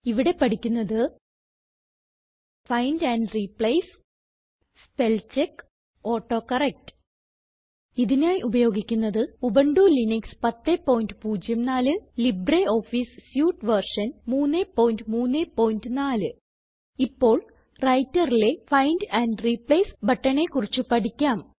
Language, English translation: Malayalam, In this tutorial we will learn the following: Find and Replace Spellcheck AutoCorrect Here we are using Ubuntu Linux 10.04 as our operating system and LibreOffice Suite version 3.3.4 Now let us start by learning about the Find and Replace button in the Writer